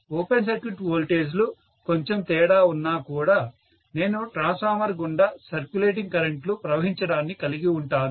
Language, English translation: Telugu, Even if the open circuit voltages are slightly different, I will have a circulating current simply going through this transformer